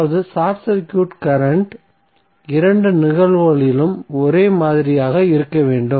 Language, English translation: Tamil, That means that short circuit current should be same in both of the cases